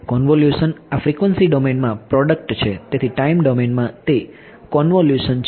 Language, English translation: Gujarati, Convolution right this is a product in frequency domain, so in time domain it is convolution